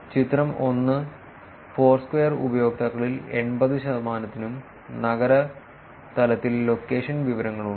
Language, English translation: Malayalam, Figure 1 the vast majority 80 percent of Foursquare users and venues have location information at the city level